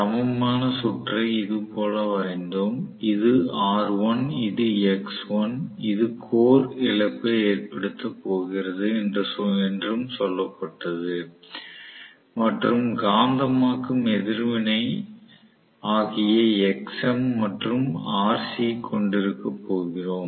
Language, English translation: Tamil, So, we drew the equivalent circuit on the whole somewhat like this, this is R1, this is x1, this is also said that we are going to have the core loss and we are going to have the magnetizing reactance which we wrote as Xm and Rc right